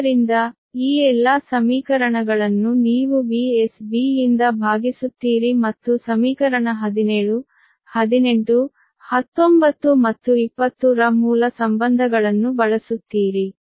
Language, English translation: Kannada, so all this equation you divide by v s b and using the base relationship eq of equation seventeen, eighteen, nineteen and twenty